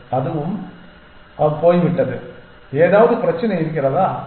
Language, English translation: Tamil, So, that is also gone so is there any problem